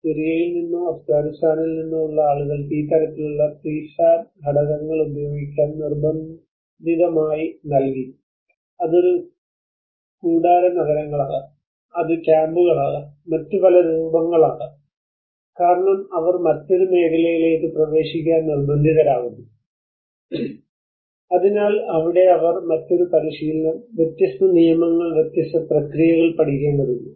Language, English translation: Malayalam, People from Syria or Afghanistan they were forcibly given these kinds of prefab elements to use, it could be a tent cities, it could be camps, it could be many other forms where because they are forced to enter into a different field, so that is where they have to learn a different practice, different set of rules, different process